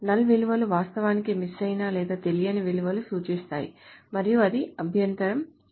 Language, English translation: Telugu, So null values actually represent missing or unknown values and it doesn't make sense